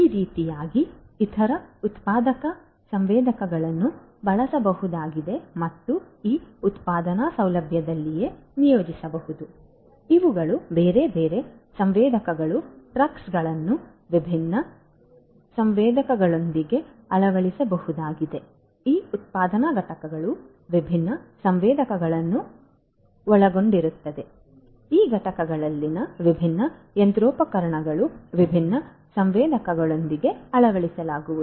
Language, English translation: Kannada, Like this there are other sensors that could be used and could be deployed in this manufacturing facility itself, these are these different other sensors sensor sensor sensor , these trucks could be fitted with different sensors, these manufacturing units would comprise of different sensors right, different machinery in these units are going to be fitted with different sensors